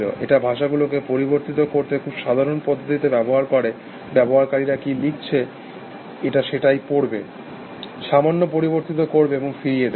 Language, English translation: Bengali, It use simple rules to manipulate language, it would read what the users written, manipulated little bit, and throw it back